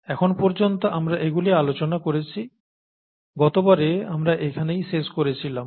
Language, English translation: Bengali, This is what we have seen so far, this is where we left off last time